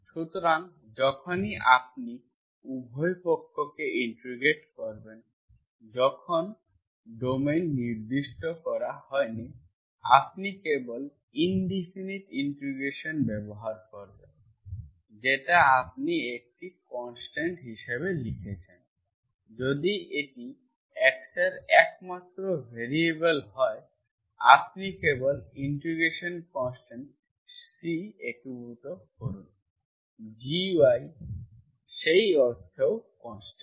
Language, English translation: Bengali, A small digression here, so whenever you have, you are integrating both sides, when the domain is not specified, you are simply using indefinite integration, so that you are writing as a constant, if it is the only variable of x, you simply integrate plus integration constant C, because we have another variable, G of y is also constant in that sense